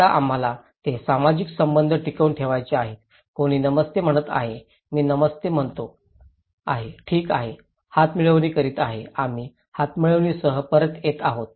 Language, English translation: Marathi, Now, we want to maintain that social relationship, somebody is saying Namaste, I am saying Namaste, okay, handshake; we are returning with handshake